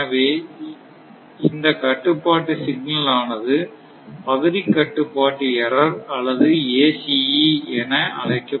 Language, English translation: Tamil, So, for this control signal actually you call as area control error or ACE in short form, right